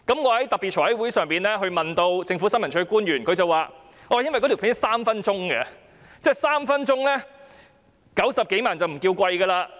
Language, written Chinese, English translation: Cantonese, 我在特別財務委員會的會議上向政府新聞處的官員提問，他們的回應時該短片長達3分鐘 ，90 多萬元的製作費用已不算貴。, When I asked officials of ISD at a special Finance Committee meeting they responded that the production cost was not too expensive because the API lasted three minutes